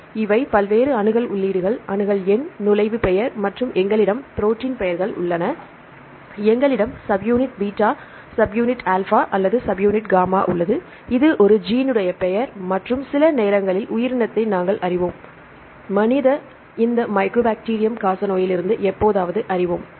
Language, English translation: Tamil, So, these are various accession entries right these are the accession number, this entry name and we have the protein names right we have the subunit beta or subunit alpha, subunit gamma and this is a gene name right and we know the organism sometimes from the human, sometime from this mycobacterium tuberculosis